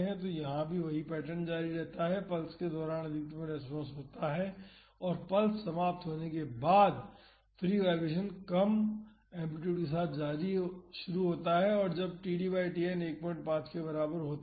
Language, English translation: Hindi, So, here also the same pattern continues the maximum response occurs during the pulse and after the pulse ends the free vibration starts with the reduced amplitude so, when td by Tn is equal to 1